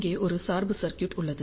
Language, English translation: Tamil, This is the biasing circuit